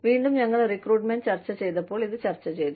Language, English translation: Malayalam, Again, we have discussed this at the, when we were discussing, recruitment